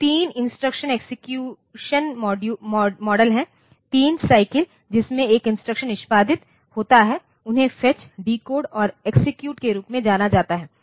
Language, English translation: Hindi, So, there are 3 instruction execution models, 3 cycles in which an instruction is executed; they are known as fetch, decode and execute